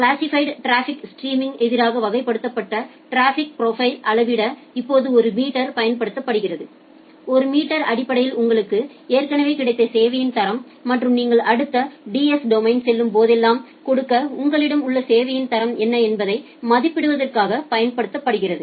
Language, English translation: Tamil, Now a meter is used to measure the classified traffic stream against the traffic profile, that means you need, a meter is basically used to estimate that how much quality of service you have already got and what is the level of quality of service that you have to give to whenever you are going to the next DS domain